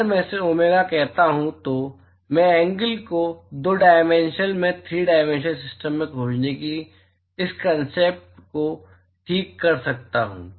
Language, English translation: Hindi, If I call this as domega so I can extend this concept of finding the angle in 2 dimensional into a 3 dimensional system ok